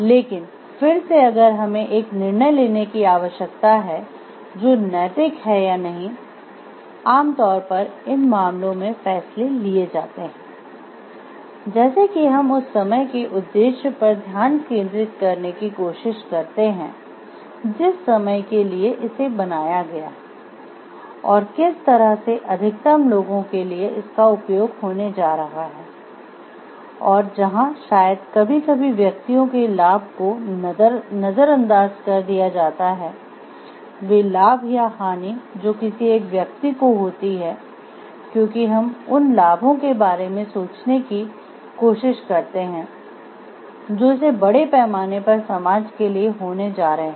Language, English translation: Hindi, But again if we need to take a decision which is ethical or not, generally in decisions in these cases are taken where like we try to focus on the purpose of the dam for what it is built and the way that it is going to serve the interest of the majority of people, And where, maybe sometimes overlook the individuals benefit and individuals like cost to the individual and the benefits or harm which is caused to the one individual, because what we try to think like the benefits that it is going to bring to the society at large